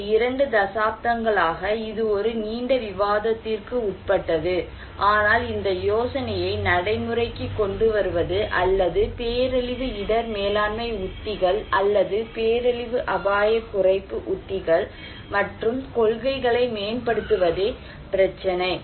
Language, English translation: Tamil, For last two decades, it has been discussed at a length, but the problem is to put this idea into practice or to improve disaster risk management strategies or disaster risk reduction strategies and policies